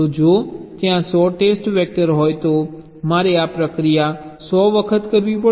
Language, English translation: Gujarati, so if there are, say, hundred test vectors at to do this process hundred times right